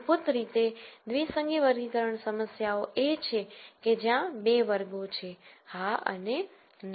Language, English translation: Gujarati, Basically binary classification problems are where there are 2 classes, yes and no